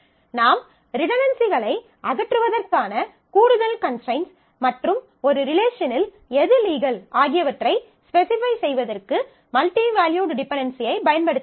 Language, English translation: Tamil, So, we have to we can make use of multi value dependency to specify, further constraints to remove redundancies and defining what is legal in a relation